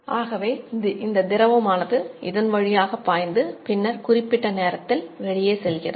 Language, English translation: Tamil, So, then this fluid will flow through this, through this, and we will go out to the time